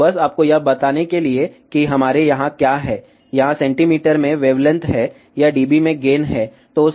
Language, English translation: Hindi, So, just to tell you what we have here, here is a wavelength in centimeter, this is the gain in dB